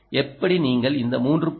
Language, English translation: Tamil, how did you generate this